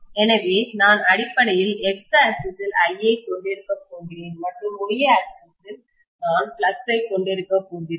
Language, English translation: Tamil, So I am going to have essentially on the X axis, I am going to have I and on the Y axis, I am going to have the flux, right